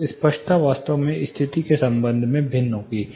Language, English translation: Hindi, So, the clarity actually varies with respect to position considerably